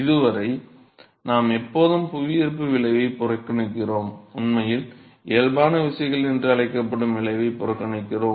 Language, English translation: Tamil, So, so far, we always ignore the effect of gravity and in fact, we ignore the effect what is called the body forces